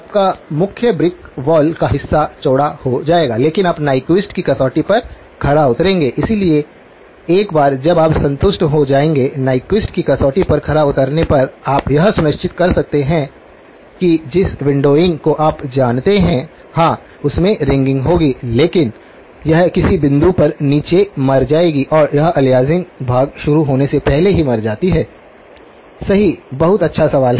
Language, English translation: Hindi, Your, the main brick wall part will get widened but you are over satisfying the Nyquist criterion, so once you satisfy; over satisfy the Nyquist criterion, you can make sure that the windowing you know yes, it will have ringing but it will die down at some point and it dies down before the aliasing part begins, right very good question